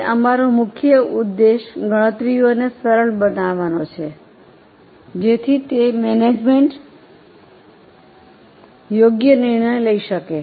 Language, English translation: Gujarati, Now our main purpose is to make various calculations easy so that management can take appropriate decision